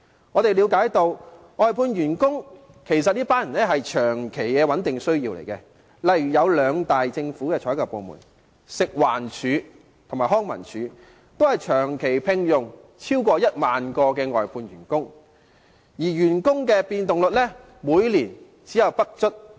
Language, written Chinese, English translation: Cantonese, 我們了解到，外判員工其實是有其長期穩定的需要，例如政府兩大採購部門，即食物環境衞生署和康樂及文化事務署，均長期聘用超過1萬名外判員工，而員工的變動率每年不足 5%。, We understand that there is actually a long - term and steady need for outsourced workers . For example the two major procuring government departments namely the Food and Environmental Hygiene Department FEHD and the Leisure and Cultural Services Department LCSD have employed more than 10 000 outsourced workers for a long period and the annual rate of staff movement is less than 5 %